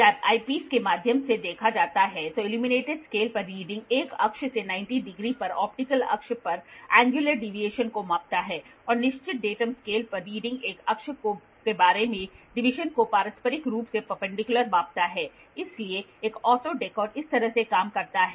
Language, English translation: Hindi, When viewed through the eyepiece the reading of on the illuminated scale measures angular deviation from 1 axis at 90 degrees to optical axis, and the reading on the fixed datum scale measures the deviation about an axis mutually perpendicular, so this is how an auto dekkor works